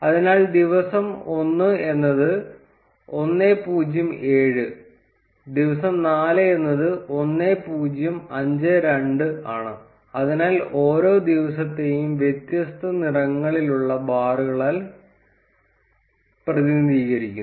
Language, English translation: Malayalam, So, day 1 its 1 0 7, and day 4 its 1 0 5 2, so each of the days are represented by different color of bars